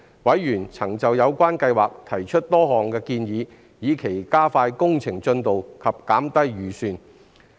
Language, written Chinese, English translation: Cantonese, 委員曾就有關計劃提出多項建議，以期加快工程進度及減低預算。, Members put forward a number of suggestions on these projects with a view to expediting works progress and reducing project costs